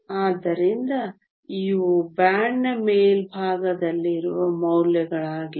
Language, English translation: Kannada, So, these are the values at the top of the band